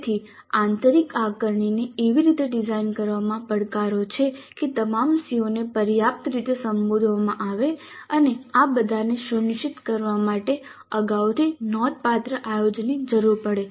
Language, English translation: Gujarati, So there are challenges in designing the internal assessment in such a way that all the COs are addressed adequately and ensuring all these requires considerable planning upfront